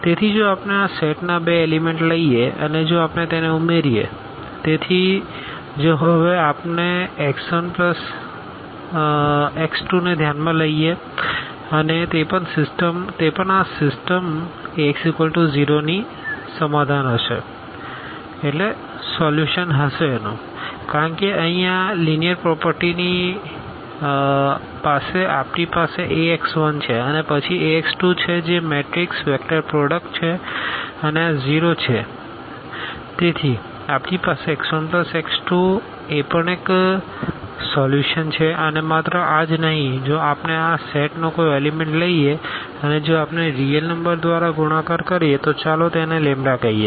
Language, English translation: Gujarati, So, if we take two elements of this set and if we add them; so if we consider now x 1 plus x 2 and that will be also the solution of this system of equations Ax is equal to 0, because of this linear property here we have Ax 1 and then Ax 2 that is a matrix vector product and this is 0 and this is 0